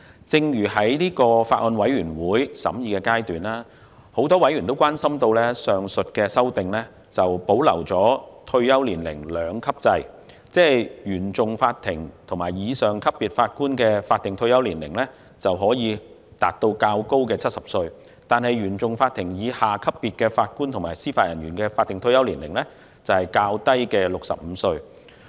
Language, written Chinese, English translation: Cantonese, 在法案委員會進行審議的時候，很多委員關心上述修訂保留退休年齡兩級制，即原訟法庭及以上級別法官的法定退休年齡可以達到70歲，而原訟法庭以下級別法官及司法人員的法定退休年齡則是65歲。, In the course of deliberation of the Bills Committee many members were concerned that the two - tier retirement age system would be retained ie . Judges at the Court of First Instance CFI level and above will have a higher statutory retirement age at 70 while JJOs below the CFI level will have a lower statutory retirement age at 65